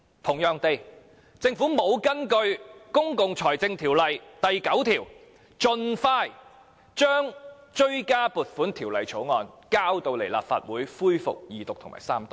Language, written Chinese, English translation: Cantonese, 同樣地，政府沒有根據《公共財政條例》第9條，盡快將追加撥款條例草案提交立法會恢復二讀及三讀。, Again the Government did not expeditiously introduce the Bill into the Legislative Council for resumption of the Second Reading debate and Third Reading in accordance with section 9 of PFO